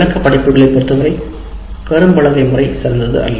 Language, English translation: Tamil, But when it comes to descriptive courses, the blackboard method is not particularly great